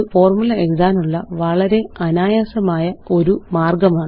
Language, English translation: Malayalam, So these are the ways we can format our formulae